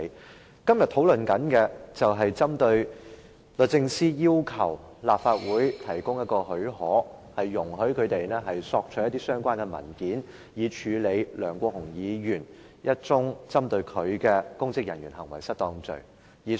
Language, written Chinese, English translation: Cantonese, 我們今天討論的，是律政司要求立法會給予許可，容許他們索取一些相關文件，以處理一宗針對梁國雄議員的公職人員行為失當的案件。, Our discussion today concerns a request made by the Department of Justice DoJ for leave of the Legislative Council to obtain certain relevant documents for handling a case of misconduct in public office instituted against Mr LEUNG Kwok - hung